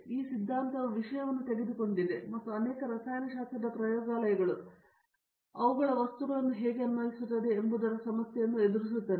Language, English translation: Kannada, So, this theory has taken over the thing and many chemistry laboratories are now facing the problem of how to apply these to their materials